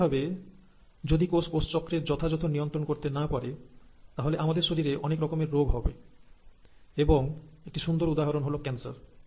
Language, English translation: Bengali, So naturally, if the cells are not able to regulate their cell cycle properly, we will have a lot of diseases happening in our body and one classic example is ‘cancer’